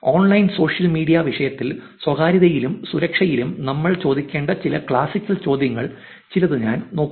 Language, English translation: Malayalam, I am kind of looking at some of these classical worlds which looks at some of the question that we should be asking in privacy and security in online social media topic